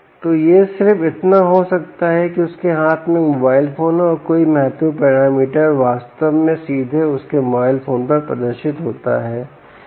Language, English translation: Hindi, so it could be just that he has a mobile phone in his hand and any critical parameters actually displayed directly on his mobile phone